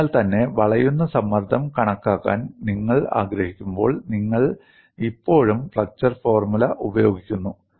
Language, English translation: Malayalam, So, that is why when you want to calculate the bending stress, you still use the flexure formula